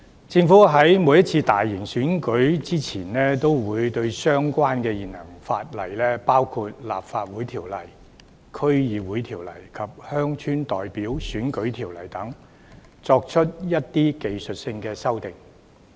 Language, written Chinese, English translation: Cantonese, 政府在每次大型選舉前，均會對相關的現行法例，包括《立法會條例》、《區議會條例》及《鄉郊代表選舉條例》等，作出一些技術修訂。, The Government will introduce some technical amendments to the relevant existing legislation including the Legislative Council Ordinance LCO the District Councils Ordinance the Rural Representative Election Ordinance etc before each large - scale election